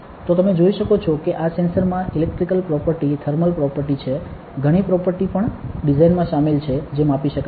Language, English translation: Gujarati, So, you can see that this the sensor has a electrical properties, thermal properties, lot of properties also included in the design which can be measured ok